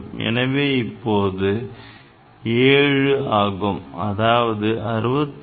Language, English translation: Tamil, So, it will be 7; so, 66